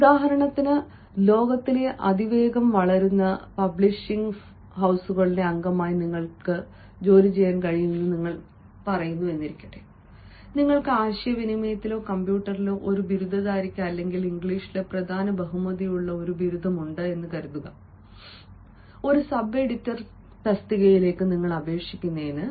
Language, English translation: Malayalam, for example, you can say: as the member of the fastest growing publishing houses in the world, do you have an opening for a first graduate in communications or in computers, or a graduate with honors of major in english a, for the post of ah, a sub editor